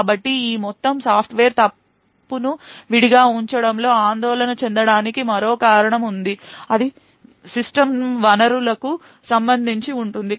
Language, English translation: Telugu, So there is another thing to a worry about in this entire Software Fault Isolation and that is with respect to system resources